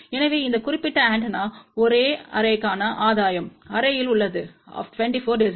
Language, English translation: Tamil, So, gain for this particular antenna array is of the order of 24 dB